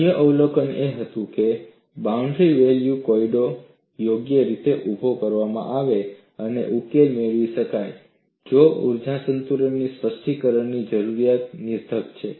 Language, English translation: Gujarati, The other observation was if the boundary value problem is properly posed and solution could be obtained, the need for specification of an energy balance is redundant